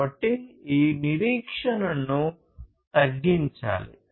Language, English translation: Telugu, So, this waiting has to be minimized